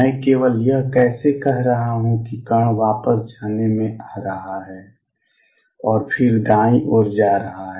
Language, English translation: Hindi, How come I am only saying that particle has coming in going back and then going only to the right